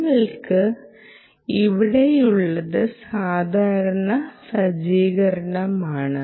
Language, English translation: Malayalam, what you have here is the usual setup ah